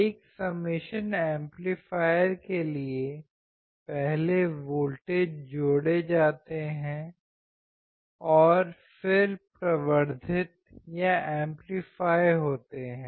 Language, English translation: Hindi, For summation amplifier, first voltages are added and then amplified